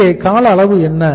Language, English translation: Tamil, So what is the duration here